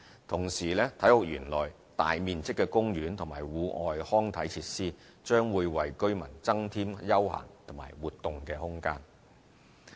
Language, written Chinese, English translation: Cantonese, 同時，體育園內大面積的公園和戶外康體設施，將為居民增添休閒和活動空間。, Meanwhile the sizable park and the outdoor recreation facilities within this Sports Park are going to provide residents with room for leisure pursuits and for conducting other activities